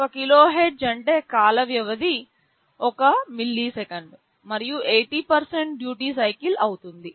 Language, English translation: Telugu, 1 KHz means the time period will be 1 milliseconds, and 80% will be the duty cycle